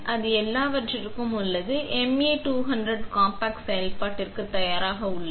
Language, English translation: Tamil, That is all there is to it and the MA200 compact is ready for operation